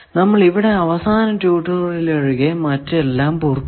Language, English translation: Malayalam, With this we complete all the lectures except the last tutorial